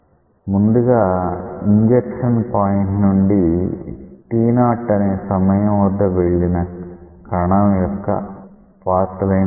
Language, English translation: Telugu, So, first let us draw the path line of that particle which pass through this point of injection at t equal to t 0